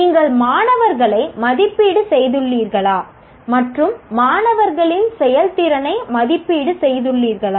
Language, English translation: Tamil, Have you assessed the student and have you evaluated the performance of the students and did you count that in the final grade of the student